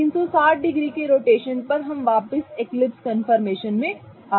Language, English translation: Hindi, So, at 120 degrees again we have gotten back to the eclipse conformation